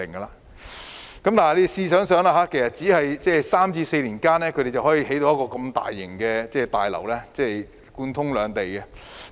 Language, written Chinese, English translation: Cantonese, 大家試想想，才3至4年，他們便可興建如此大型、貫通兩地的大樓。, Think about it they can build such a huge building connecting the two places in just three to four years time